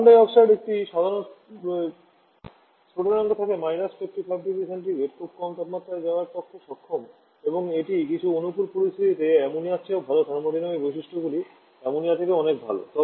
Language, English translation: Bengali, Carbon dioxide as a normal boiling point of 55 degree Celsius so capable of going to very low temperature and it is very favourable thermodynamic properties under certain situations even better than Ammonia are much better than Ammonia